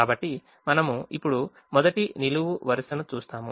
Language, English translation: Telugu, so we now look at the first column